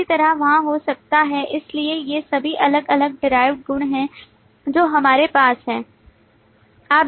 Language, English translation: Hindi, so these are all different derived properties that we have